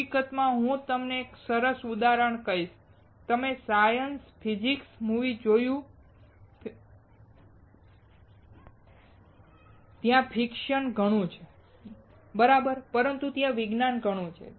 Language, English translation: Gujarati, In fact, I will tell you a cool example, you see science fiction movies there is lot of friction right, but there is lot of science